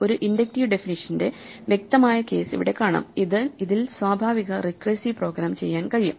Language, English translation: Malayalam, Here is the clear case of an inductive definition that has a natural recursive program extracted from it